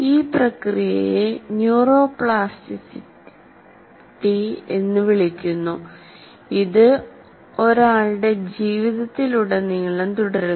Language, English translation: Malayalam, This process is called neuroplasticity and continues throughout one's life